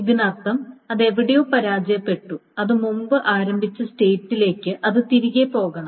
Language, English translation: Malayalam, That means it has failed somewhere and it must roll back to the database state where before it started